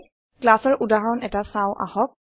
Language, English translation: Assamese, Let us look at an example of a class